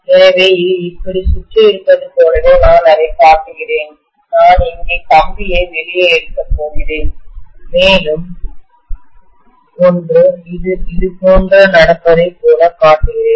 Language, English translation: Tamil, So I am just showing it as though it is wound like this and I am going to take out the wire here and one more let me show it as though is going like this